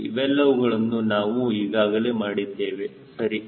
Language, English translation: Kannada, all this things we have done right